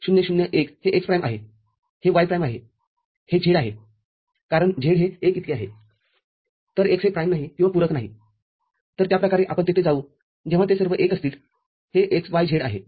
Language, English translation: Marathi, 0 0 1, it is x prime, y prime, z because z is equal to 1, so z is unprimed or uncomplemented, so that way we will go up to when all of them are 1, it is x y z